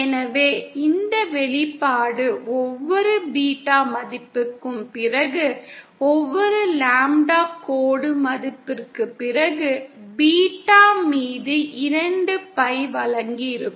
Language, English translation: Tamil, So this expression will repeat itself after every one, after every beta value, after every lambda dash value, given by two Pi upon beta